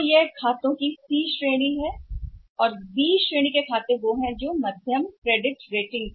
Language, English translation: Hindi, So, they are the C category of accounts and B category of accounts are which are having the say moderate credit rating